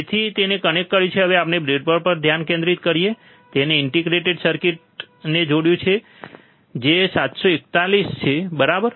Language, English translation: Gujarati, So, he has connected now let us focus on the breadboard, he has connected the integrated circuit which is 741, right